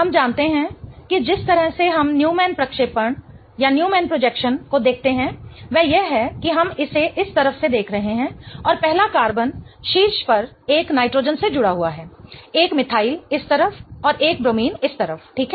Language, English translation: Hindi, We know that the way we look at Newman projection is that we are looking it from this side and the first carbon is attached to a nitrogen on the top, a methyl this side and a bromine this side, right